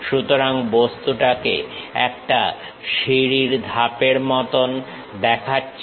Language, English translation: Bengali, So, the object looks like a staircase steps